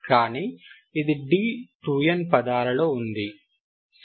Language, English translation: Telugu, But this one is in terms of d 2 n, Ok